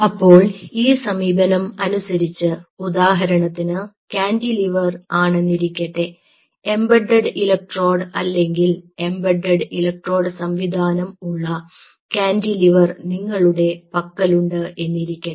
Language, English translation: Malayalam, so as of now, this approach also like on a cantilever say, for example, here you have a cantilever having embedded electrode or embedded electrode systems